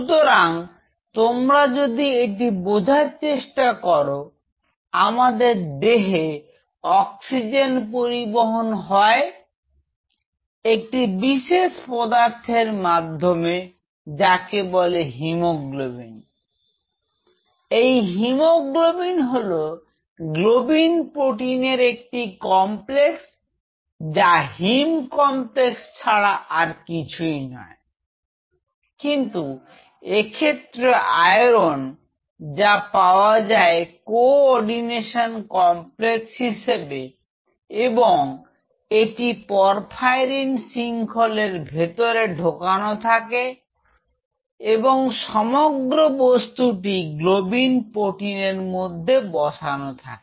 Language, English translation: Bengali, So, if you realize in our body the oxygen supply is met by the molecule called hemoglobin Hb, hemoglobin which is complex it is a globin protein with a haem complex haem complex is nothing, but iron and it is its found coordination complex and it is entrapped in a porphyrin ring and this whole thing is kind of you know place inside a protein call globin